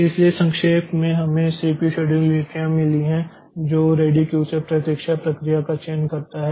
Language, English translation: Hindi, So, to summarize, so we have got this CPU scheduling policies that selects a waiting process from the ready queue